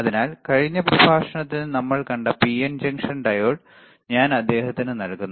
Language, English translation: Malayalam, So, I am giving him the PN junction diode which we have seen in the last lecture, the PN junction diode